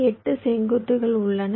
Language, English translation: Tamil, so there are eight vertices